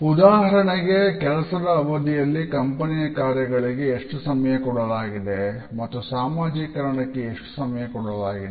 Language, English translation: Kannada, For example how much time is given during a work day to the company tasks and how much time is given to socializing